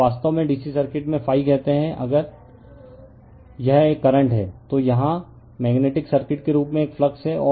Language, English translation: Hindi, Now, phi actually in DC circuits say if it is a current, here analogous to magnetic circuit is a flux